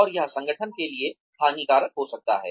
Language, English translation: Hindi, And, that can be detrimental to the organization